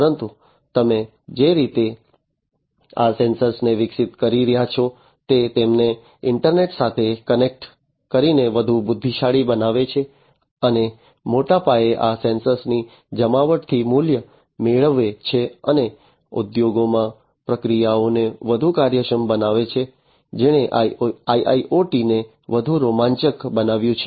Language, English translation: Gujarati, But the way you are evolving these sensors making them much more intelligent connecting them to the internet getting value out of the deployment of these sensors in a big scale and making processes much more efficient, in the industries, is what has made IIoT much more exciting